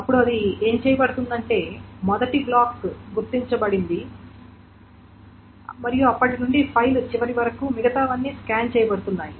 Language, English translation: Telugu, Then what it is being done is that the first block is identified and from then onwards everything else to the end of the file is being scanned